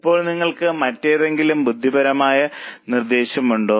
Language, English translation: Malayalam, Now, do you have any other intelligent suggestion to offer